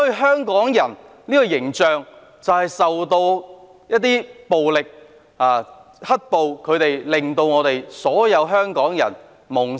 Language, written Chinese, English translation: Cantonese, 香港人的形象受到"黑暴"破壞，形象低落，令所有香港人蒙羞。, Tarnished by black - clad rioters the image of Hongkongers is poor bringing shame to all the people of Hong Kong